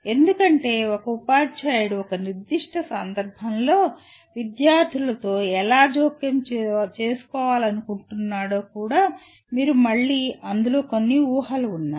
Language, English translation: Telugu, Because, even a choice of how a teacher wants to intervene with the students in a particular context you again there are some assumptions involved in that